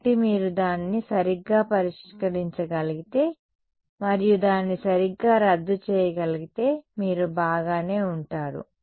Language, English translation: Telugu, So, if you can deal with that and cancel it off correctly then you will be fine